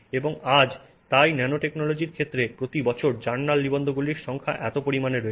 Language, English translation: Bengali, And today therefore there are thousands of journals articles, thousands of journal articles every year in the area of nanotechnology